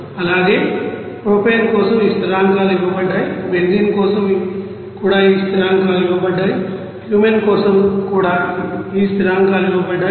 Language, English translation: Telugu, And similarly for propane these constants are given, for benzene also those constants are given, for Cumene also those constants are given